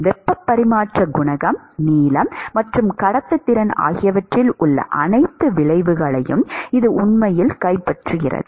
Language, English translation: Tamil, Which actually captures all the effects that is included in heat transfer coefficient, length and the conductivity